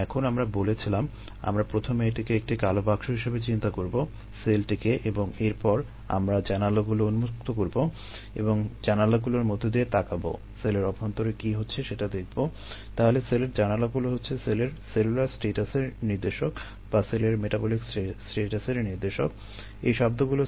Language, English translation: Bengali, now we said we will first consider it is a black box, the cell, and then we will open up windows and look through the windows to see what is happening inside the cell